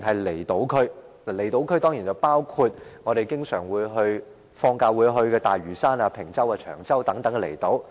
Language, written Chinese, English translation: Cantonese, 離島區當然包括我們放假經常會去的大嶼山、坪洲、長洲等離島。, Outlying islands like Lantau Island Ping Chau and Cheung Chau which we often visit on holidays are included under the Islands District